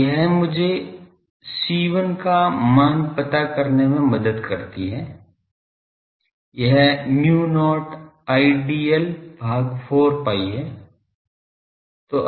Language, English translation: Hindi, So, this helps me to find the value of C1 is nothing, but mu not Idl by 4 pi